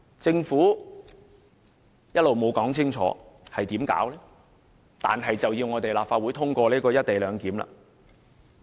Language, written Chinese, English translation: Cantonese, 政府一直沒有清楚說明將會怎樣做，但卻要立法會通過《條例草案》。, The Government asked the Legislative Council to endorse the Bill without clearly telling us its future practice